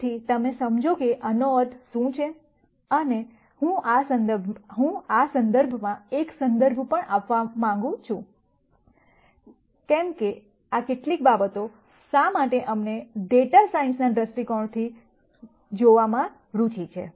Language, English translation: Gujarati, So that you understand what this means and I also want to give a context, in terms of why these are some things that we are interested in looking at from a data science viewpoint